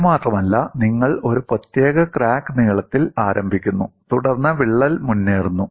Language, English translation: Malayalam, Not only this, you start with the particular crack length, then the crack advances